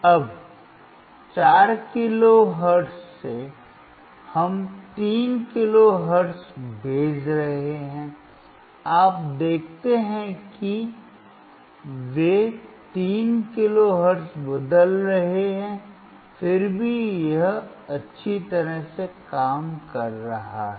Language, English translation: Hindi, Now from 4 kilohertz, we are sending to 3 kilo hertz, you see they are changing the 3 kilo hertz still it is working well